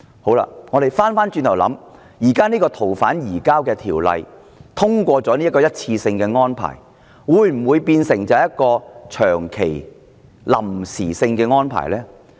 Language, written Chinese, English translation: Cantonese, 反過來想，如果採納現時《逃犯條例》的一次性安排，移交逃犯會否變成長期臨時性的安排呢？, Conversely if we adopt the single case - based arrangement under the present FOO will we turn the surrender of fugitive offenders into a perpetually provisional arrangement?